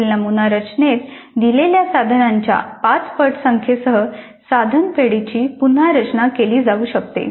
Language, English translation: Marathi, So item banks can be designed again with 5 times the number of items as given in the sample structure here